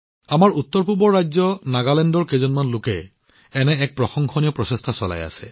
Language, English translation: Assamese, One such commendable effort is being made by some friends of our northeastern state of Nagaland